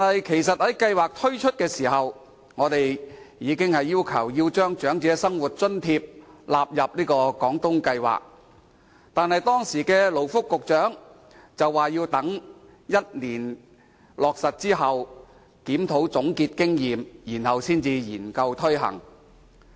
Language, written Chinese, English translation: Cantonese, 其實，在計劃推出時，我們已要求把長者生活津貼納入廣東計劃，但時任勞工及福利局局長表示，要等計劃落實1年後進行檢討，總結經驗，之後再研究推行。, Actually upon the roll - out of the Guangdong Scheme we already sought to include the Old Age Living Allowance OALA in the Scheme but the then Secretary for Labour and Welfare stated that the Government would have to review the Scheme one year after its implementation to sum up the experience before considering introducing what we requested